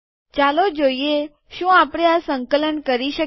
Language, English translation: Gujarati, So lets see whether we can compile this